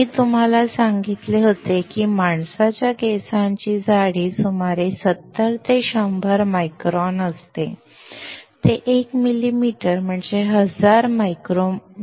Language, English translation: Marathi, I had told you that the thickness of a single human hair is around 70 to 100 microns; 1 millimeter is 1000 microns